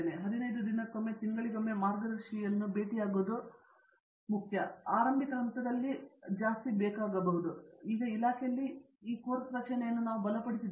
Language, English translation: Kannada, The initial stages anything between meeting the guide once a fortnight to once a month because what we have done in a department now is we have strengthened this course structure